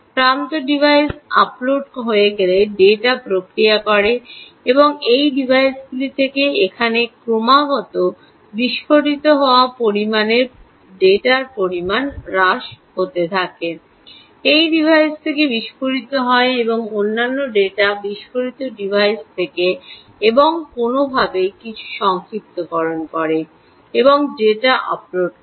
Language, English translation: Bengali, first thing is the age device: right, once the edge device uploads data, processes the data and reduces the amount of data that is constantly exploding from these, from these devices here, exploding from these device is here these other data exploding devices and somehow does some sort of summarisation and uploads the data